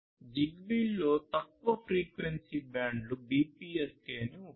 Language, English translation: Telugu, So, the lower frequency bands in ZigBee use BPSK the 2